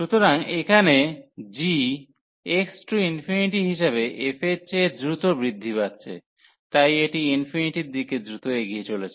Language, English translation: Bengali, So, here the g is a growing faster than f as x approaching to infinity, so this is approaching to infinity faster